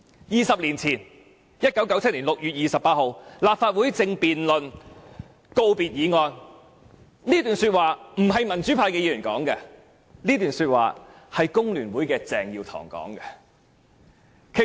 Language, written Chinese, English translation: Cantonese, "二十年前在1997年6月28日，立法會正在辯論告別議案，這不是民主派議員所說的，而是工聯會鄭耀棠所說的話。, Twenty years ago on 28 June 1997 the Legislative Council was debating the valedictory motion . These remarks were not made by a democrat but by CHENG Yiu - tong from the Hong Kong Federation of Trade Unions